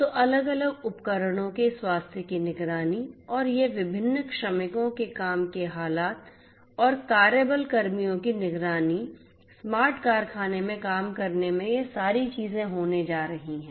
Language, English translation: Hindi, So, all of these so monitoring the health of the different devices, monitoring the health and the working condition of this different workers and the work force the personnel so on, working in a smart factory all of these things are going to be done